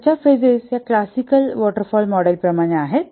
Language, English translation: Marathi, But what about the classical waterfall model